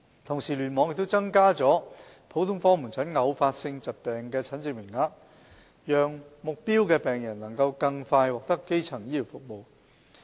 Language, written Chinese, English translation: Cantonese, 同時，聯網亦增加了普通科門診偶發性疾病的診症名額，讓目標病人能更快獲得基層醫療服務。, Meanwhile KEC has also increased the consultation quotas for episodic disease patients in general outpatient clinics to enable target patients to receive primary healthcare services within a shorter period of time